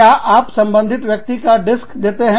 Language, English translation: Hindi, Do you give a disk, to the person concerned